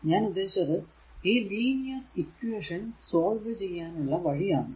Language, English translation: Malayalam, I mean the way you solve linear equation these we have to make it